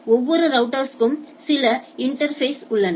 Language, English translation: Tamil, So, the every router has a some interfaces right